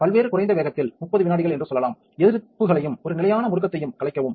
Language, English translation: Tamil, So, let us say 30 seconds at a various small speed, just to disperse the resists and a standard acceleration